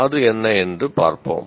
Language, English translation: Tamil, Let us look at what it is